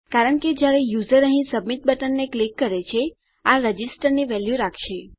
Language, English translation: Gujarati, This is because when the user clicks the submit button here, this will hold a value of Register